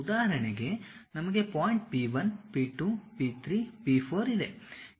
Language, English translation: Kannada, For example, we have point P 1, P 2, P 3, P 4